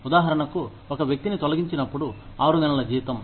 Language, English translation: Telugu, For example, six month salary, when a person is laid off